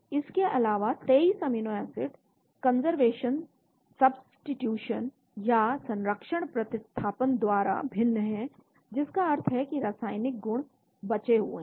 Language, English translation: Hindi, Also 23 amino acids are different by conservation substitution meaning that the chemical properties are maintained